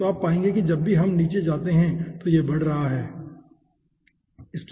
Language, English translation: Hindi, so you will be finding out that it is increasing whenever we go down